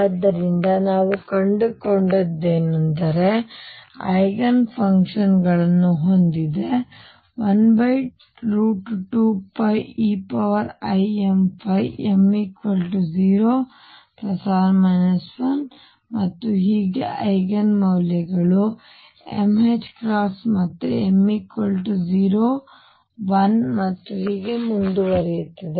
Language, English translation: Kannada, So, what we found is that L z has Eigen functions one over root 2 pi e raise to i m phi m equals 0 plus minus 1 and so on and Eigen values are m h cross again m equals 0 plus minus 1 and so on